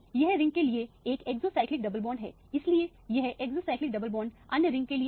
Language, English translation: Hindi, This is an exocyclic double bond for this ring, so this is exocyclic double bond to the other ring